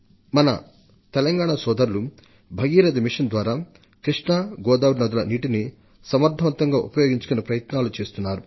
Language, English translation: Telugu, Our farmer brothers in Telangana, through 'Mission Bhagirathi' have made a commendable effort to optimally use the waters of Godavari and Krishna rivers